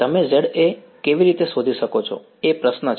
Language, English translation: Gujarati, How do you find Za is the question